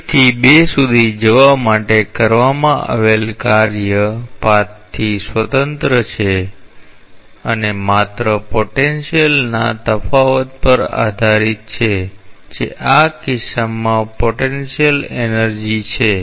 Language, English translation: Gujarati, Then, the work done for going from 1 to 2 is independent of the path and just is dependent on the difference in the potential that is the potential energy in this case